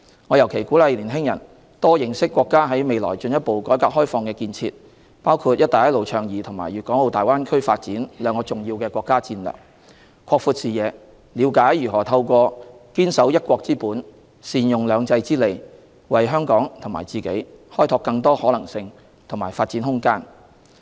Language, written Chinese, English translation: Cantonese, 我尤其鼓勵年輕人多認識國家在未來進一步改革開放的建設，包括"一帶一路"倡議和粵港澳大灣區發展兩大重要的國家戰略，擴闊視野，了解如何透過堅守"一國"之本，善用"兩制"之利，為香港和自己開拓更多可能性和發展空間。, In particular I would encourage our young people to learn more about our countrys plans for further reform and opening up including the two important national strategies namely the Belt and Road Initiative and the Guangdong - Hong Kong - Macao Greater Bay Area Development to broaden their horizons and to explore more possibilities and room for development for Hong Kong and for themselves through upholding the principle of one country and leveraging the advantages of two systems